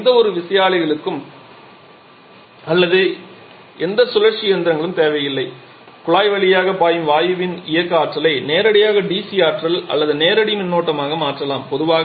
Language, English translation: Tamil, We do not need any turbines or any rotational machinery we can directly convert the kinetic energy of the gas which is flowing through the duct to DC electricity or direct current